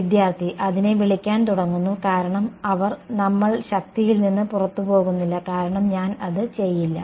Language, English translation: Malayalam, Is begin call it because they are we are not exiting the force because I does not the